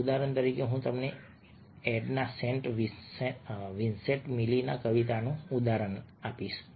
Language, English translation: Gujarati, for example, here i take an example of a poem, a by edna saint vincentmilley, and you find that a